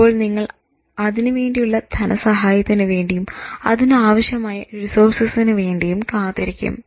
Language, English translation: Malayalam, You will wait till you get the funding, till you get the resources, till you develop the skill